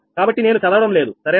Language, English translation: Telugu, so i am not reading this right